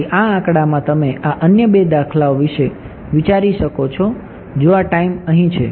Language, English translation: Gujarati, So, in this figure you can think of these other two instances if this is time over here right